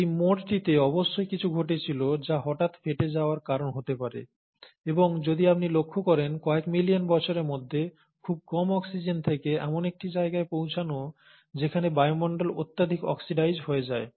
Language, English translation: Bengali, Something must have happened at this turn, which would have led to the sudden burst, and if you noticed, within a few million years, from hardly any oxygen to reach a point where the atmosphere becomes highly oxidized